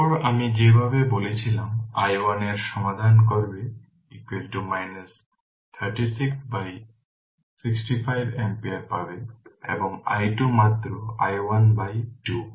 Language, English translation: Bengali, Then you will get if you solve the way I told you i 1 is equal to you will get 36 by 65 ampere and i 2 is just i 1 by 2